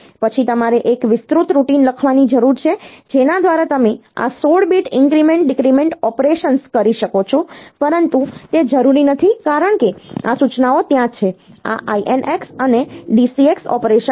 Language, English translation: Gujarati, Then you need to write an elaborate routine by which you do you can do this 16 bit increment decrement operations, but that is not necessary because these instructions are there; this INX and DCX operation